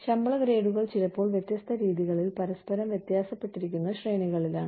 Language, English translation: Malayalam, The pay grades are, sometimes, the ranges differ from one another, in various ways